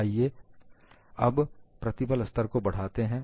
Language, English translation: Hindi, Now, let us increase the stress level